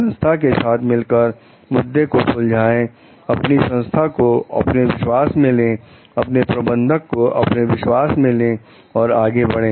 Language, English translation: Hindi, Try to solve that issue within the organization, take your company into your confidence; take your manager into your confidence, move ahead